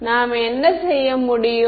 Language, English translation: Tamil, So, what can we do